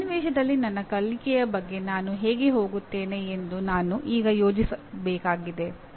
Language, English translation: Kannada, Now in that context I have to now plan how do I go about my learning